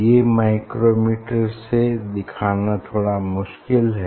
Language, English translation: Hindi, it is difficult to show, it is difficult to show through the micrometer